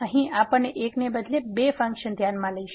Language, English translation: Gujarati, So, here we will consider two functions instead of one